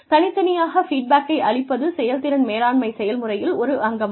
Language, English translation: Tamil, Providing individual feedback is part of the performance management process